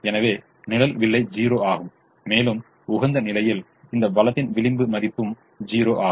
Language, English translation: Tamil, therefore, the shadow price is zero and the marginal value of this resource at the optimum is also zero